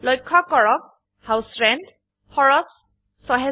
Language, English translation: Assamese, Note, that the cost of House Rent is rupees 6,000